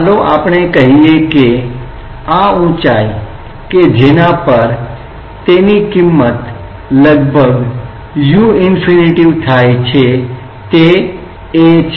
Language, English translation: Gujarati, Let us say that this height at which it comes to almost u infinity is a